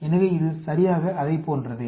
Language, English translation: Tamil, So, it is exactly like that